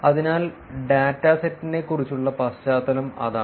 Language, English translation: Malayalam, So, that is the background about the dataset